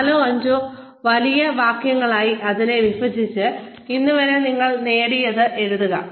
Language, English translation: Malayalam, Break it up, into, maybe 4 or 5 short sentences, and write down, what you have achieved, till date